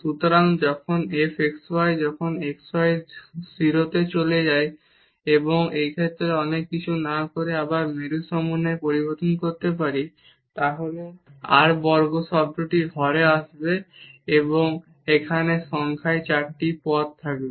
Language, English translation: Bengali, So, when f x y when x y goes to 0 and in this case without doing much so, we can either change again to polar coordinate then r square term will be coming in the denominator and here in numerator there will be a 4 terms